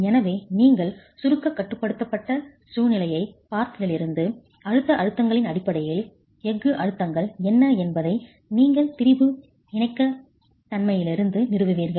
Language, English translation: Tamil, So, since you looked at compression control situation based on the compressive stresses you will establish from strain compatibility what the steel stresses are